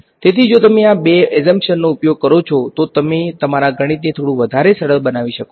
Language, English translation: Gujarati, So, if you use these two assumptions you can simplify your mathematics a little bit more